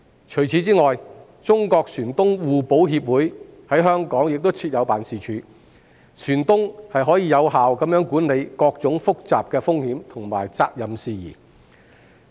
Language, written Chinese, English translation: Cantonese, 除此之外，中國船東互保協會在香港亦設有辦事處，船東可以有效地管理各種複雜的風險和責任事宜。, In addition the China Shipowners Mutual Assurance Association has an office in Hong Kong and shipowners can effectively manage various complicated issues involving risks and liability